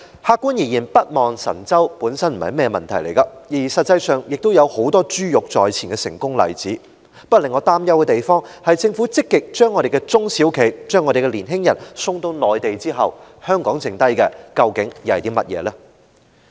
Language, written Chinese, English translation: Cantonese, 客觀而言，北望神州本來並非問題，而實際上亦有很多珠玉在前的成功例子，但令我擔憂的是政府積極把我們的中小企、年青人送到內地之後，香港還剩下甚麼？, Objectively speaking there is nothing wrong to go north to look for opportunities and there are actually many successful precedents . My fear is that after the Government has proactively sent our SMEs and young people to the Mainland what will be left behind in Hong Kong?